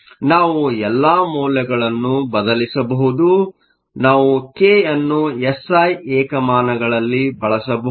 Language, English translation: Kannada, So, we can substitute all the values, we can use k in the SI units, but then we need to divide by 1